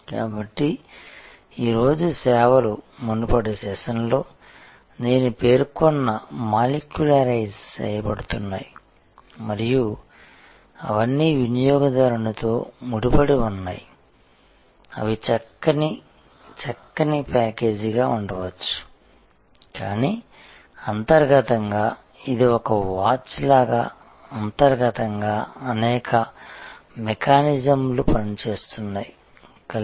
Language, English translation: Telugu, So, services today therefore, are getting molecularized which I mentioned in the previous session and they are getting all interconnected to the consumer in front they may be a lovely neat package, but internally it is just like a watch internally has many mechanisms all working together